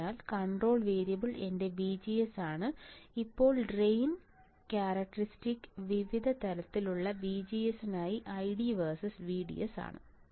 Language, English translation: Malayalam, So, control variable is my VGS now drain characteristic is 6 I D versus VDS for various levels of VGS that is we have to see